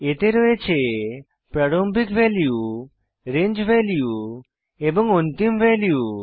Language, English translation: Bengali, It consists of a start value, range of values and an end value